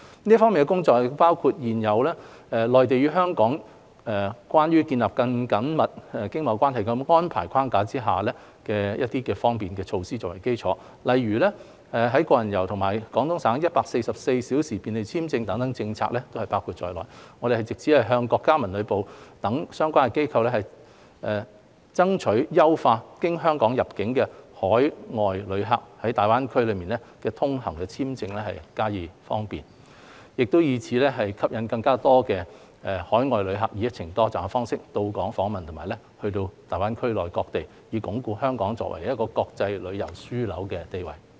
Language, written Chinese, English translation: Cantonese, 這方面的工作包括以現有《內地與香港關於建立更緊密經貿關係的安排》框架下各項便利措施為基礎，例如"個人遊"及廣東省 "144 小時便利簽證"政策等也包括在內。我們藉此向國家文旅部等相關機構，爭取優化經香港入境的海外旅客在大灣區內通行簽證的方便，以吸引更多海外旅客以"一程多站"方式到訪香港及大灣區內各地，以鞏固香港作為國際旅遊樞紐的地位。, The work on this front includes seeking enhancement on visa arrangements from MoCT and other relevant authorities for facilitating the travel of overseas tourists within GBA in a more convenient manner through Hong Kong premising on the facilitation measures under the framework of the Mainland and Hong Kong Closer Economic Partnership Arrangement including the Individual Visit Scheme and the 144 - hour visa facilitation policy in Guangdong Province etc with a view to attracting more overseas tourists to embark on multi - destination journeys in Hong Kong and various places in GBA and strengthening the position of Hong Kong as an international tourism hub